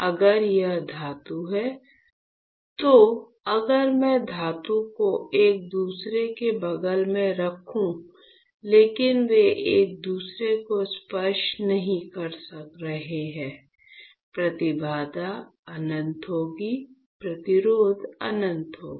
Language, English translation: Hindi, So, if this is metal, then if I place metal next to each other; but they are not touching each other, the impedance would be infinite, resistance would be infinite